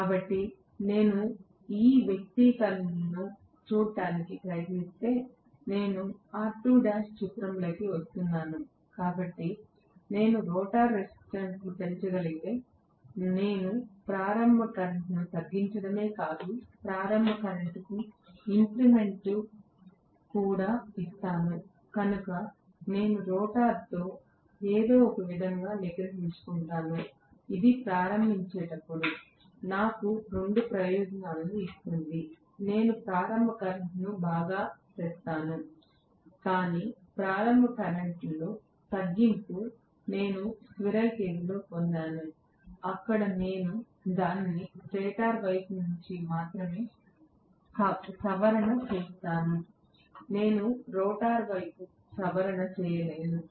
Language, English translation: Telugu, So, if I try to look at this expression, I am having R2 dash coming into picture, so if I am able to increase the rotor resistance not only do I reduce the starting current but I also give an increment to the starting torque, so if I somehow temper with rotor the resistance that will give me two advantages during starting I will bring down the starting current alright but the reduction in the starting torque what I got in squirrel cage there I had to tamper it only from the stator side, I cannot even tamper anything in the rotor side I cannot touch the rotor side, whereas here I will be able to touch definitely the rotor resistance, I will be able to modify the rotor resistance